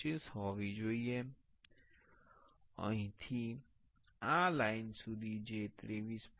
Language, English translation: Gujarati, 25, from here to this line that should be 23